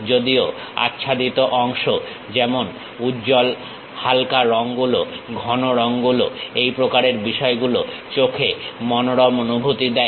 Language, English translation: Bengali, Although, the shaded portion like bright, light colors, dark colors this kind of things gives nice appeal to eyes